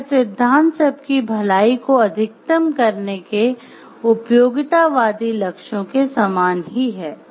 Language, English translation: Hindi, The principle is similar to that of the utilitarian goals of maximizing the overall good